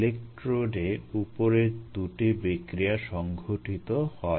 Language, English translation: Bengali, these are two reactions that take place at the electrodes